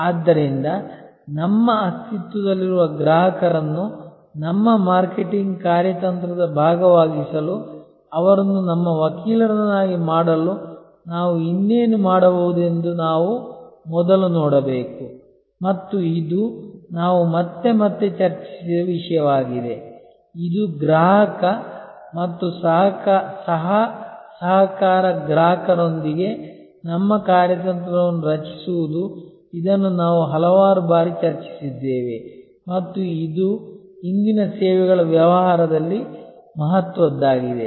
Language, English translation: Kannada, So, we should first look at that what more can we do for our existing customers to make them our advocate to make them part of our marketing strategy and this is the topic we have discussed again and again, this co opting the customer and co creating with the customer our strategy this we have discussed number of times and it is importance in services business of today